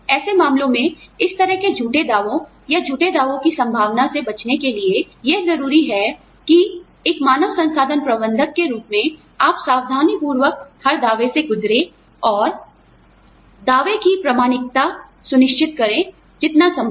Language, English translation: Hindi, In such cases, to avoid such false claims, or the possibility of false claims, it is imperative that, as an HR manager, you go through every claim meticulously, and ensure the authenticity of the claim, as much as possible